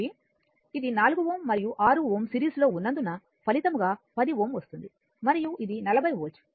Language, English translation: Telugu, So, i infinity will be this is 4 ohm and 6 ohm result 10 ohm are in series and this is a 40 volt